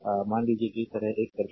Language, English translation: Hindi, Ah Suppose you have a circuit like this